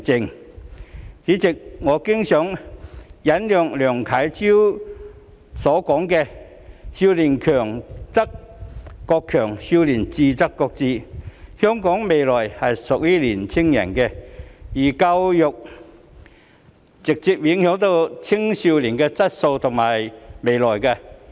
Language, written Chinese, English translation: Cantonese, 代理主席，我經常引用梁啟超的名言："少年強則國強，少年智則國智"，香港未來是屬於年輕人的，而教育直接影響青少年的質素及未來。, Deputy President I often quote a famous saying of LIANG Qichao If the young people are strong the country will be strong; if the young people are wise the country will be wise . The future of Hong Kong belongs to the young people and education directly affects their quality and future